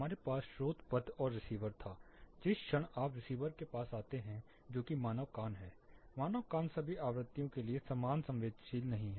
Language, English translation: Hindi, We had source path and receiver, moment you come to receiver that is the human ear; the human ear is not sensitive equally to all the frequencies